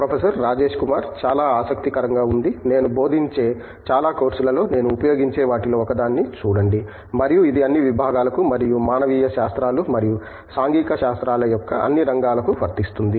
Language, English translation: Telugu, Very interesting, see one of the things that I use in most of the courses that I teach and it applies to all disciplines and all areas of humanities and social sciences